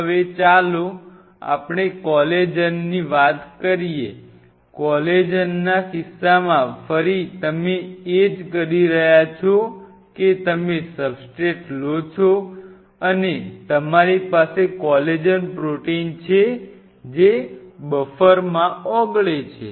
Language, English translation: Gujarati, Now let us talk about Collagen in the case of collagen again you are doing the same thing you take a substrate and you have a collagen protein dissolve in a buffer